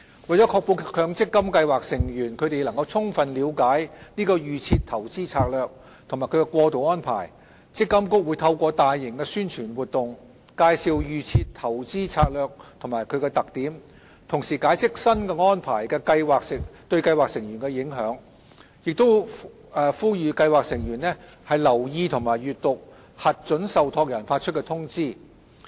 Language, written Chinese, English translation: Cantonese, 為確保強積金計劃成員能充分了解"預設投資策略"及其過渡安排，積金局會透過大型宣傳活動，介紹"預設投資策略"及其特點，同時解釋新安排對計劃成員的影響，並呼籲計劃成員留意及閱讀核准受託人發出的通知。, To ensure that MPF scheme members can well understand the DIS and its transitional arrangements MPFA will launch a large - scale publicity campaign to introduce the DIS and its features and to explain to scheme members how they will be affected by the new arrangements . Scheme members will be reminded to watch out for and read the notices issued by their approved trustees